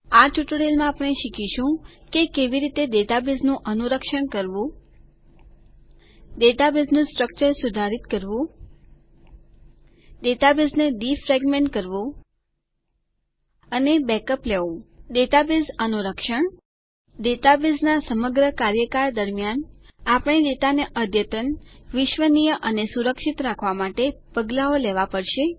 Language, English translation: Gujarati, In this tutorial , we will learn how to Maintain a Database Modify Database Structure Defragment a database And take Backups Database Maintenance Throughout the life of a Base database, we will need to take steps to keep the data up to date, reliable and safe